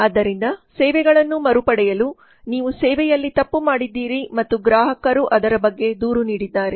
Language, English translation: Kannada, So in order to recover a services you have made a mistake in the service and the customer has complained about that